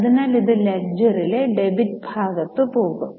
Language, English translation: Malayalam, So, this will go on debit side in the ledger